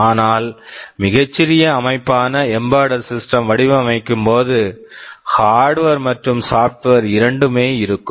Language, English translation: Tamil, But now when you are designing an embedded system, you are talking about a very small system where both hardware and software will be there